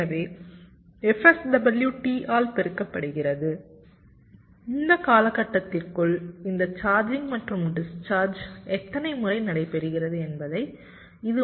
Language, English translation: Tamil, sw multiplied by t, this will give you at how many times this charging and discharging is taking place within this time period t